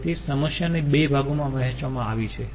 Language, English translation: Gujarati, so the problem has been divided into two parts